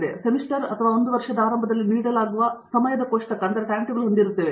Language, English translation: Kannada, So, we have a time table that is given at the beginning of the semester or a year